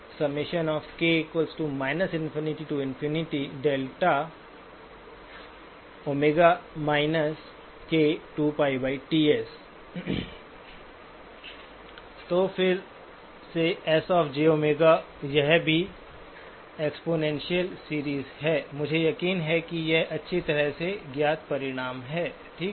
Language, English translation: Hindi, So again the S of j omega also is a series of exponentials, I am sure these are well known results, okay